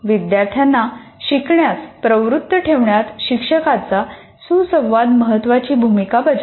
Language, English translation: Marathi, And the teacher student interaction has a major role to play in keeping the students motivated and so on